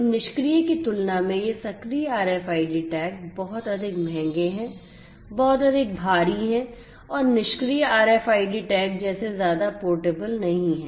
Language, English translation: Hindi, So, these active RFID tags compared to the passive ones are much more expensive, much more bulky and are not as much portable as the passive RFID tags